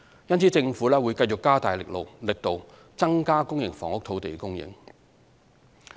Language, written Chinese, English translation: Cantonese, 因此，政府會繼續加大力度，增加公營房屋土地供應。, Hence the Government will continue to step up its effort to increase land supply for public housing